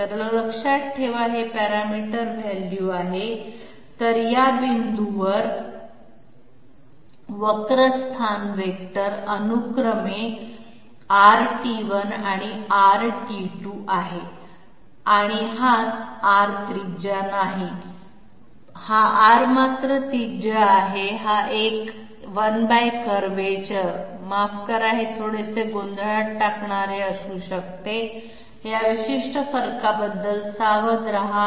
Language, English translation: Marathi, So mind you, this is the parameter value while the curve position vector is R and R at these points respectively, this R is not the radius, this R however is the radius, this one, 1 by curvature I am sorry, this might be slightly confusing be alert about this particular difference